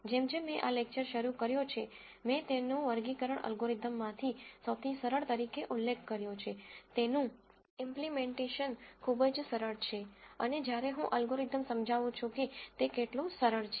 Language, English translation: Gujarati, As I started this lecture I mentioned it simplest of classification algorithms, very easy to implement and you will see when I explain the algorithm how simple it is